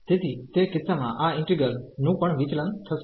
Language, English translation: Gujarati, So, in that case this integral f will also diverge